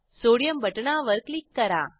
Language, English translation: Marathi, Let us click on Sodium button